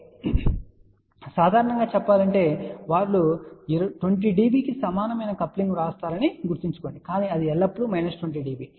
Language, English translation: Telugu, So, generally speaking remember they do write coupling equal to 20 db , but it is always minus 20 db